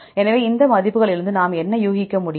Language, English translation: Tamil, So, what can we infer from these values